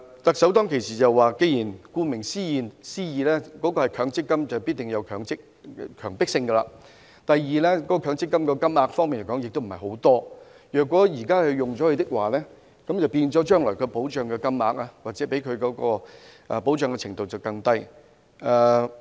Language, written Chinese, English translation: Cantonese, 特首當時說，顧名思義，強積金必定有強迫性；第二，強積金的金額亦不多，如果現時動用了，將來的金額或可為供款人提供的保障程度便會更低。, The Chief Executive said at that time that as the name implies MPF must be mandatory . Secondly the amount of MPF contributions is not great . If it is withdrawn now the future amount may provide an even lower level of protection for the contributors